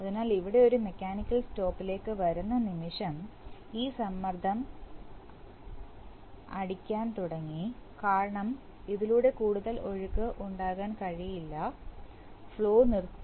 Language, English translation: Malayalam, So, the moment it comes to a mechanical stop here, this pressure will now build up because there cannot be any further flow through this, flow is stopped